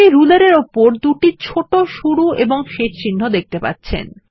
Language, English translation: Bengali, Can you see two small start and end marks on the ruler